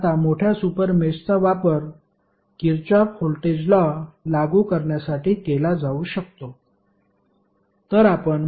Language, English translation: Marathi, Now, larger super mesh can be used to apply Kirchhoff Voltage Law